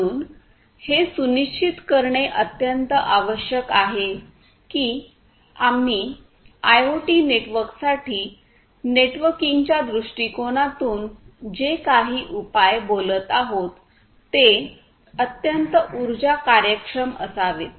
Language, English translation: Marathi, So, it is very essential to ensure that whatever solutions we are talking about from a networking point of view or in fact, from any point of view, for IoT networks, IoT systems, these have to be highly power efficient